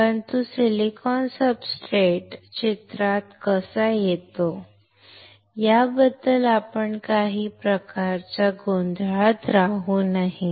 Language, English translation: Marathi, But, but we should not be under some kind of confusion that how the silicon substrate comes into picture